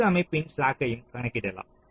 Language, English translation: Tamil, so you calculate the slack of all system